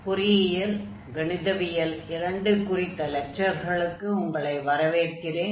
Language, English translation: Tamil, So, welcome back to lectures on Engineering Mathematics II